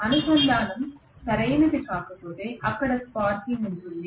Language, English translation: Telugu, If the contact is not proper there will be sparking